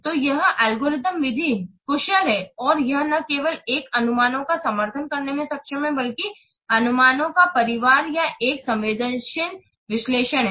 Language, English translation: Hindi, So, this algorithm method, it is efficient and it is able to support not only single estimations but a family of estimations or a sensitive analysis